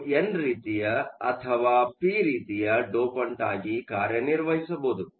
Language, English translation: Kannada, It can act both as an n type or as an p type dopant